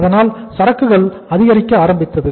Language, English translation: Tamil, So inventory started mounting